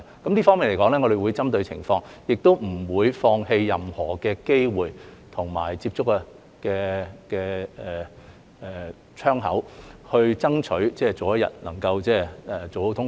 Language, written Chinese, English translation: Cantonese, 就這方面而言，我們會針對情況，也不會放棄任何機會和接觸的窗口，爭取早日通關。, In this regard we will take stock of the situation to strive for early resumption of normal traveller clearance and will not give up any opportunity or window of contact to do so